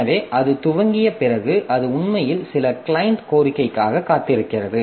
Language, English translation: Tamil, So, after it initializes, so it actually waits for some client request